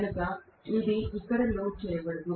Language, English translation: Telugu, So it is not at all loaded here